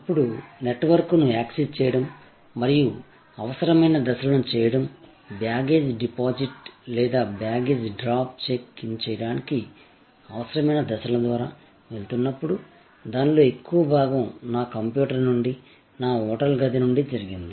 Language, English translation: Telugu, Now, the entire process of accessing the network and doing the necessary steps, going through the necessary steps for checking in, for baggage deposit or baggage drop as it is called, a large part of that actually happened from my hotel room from my computer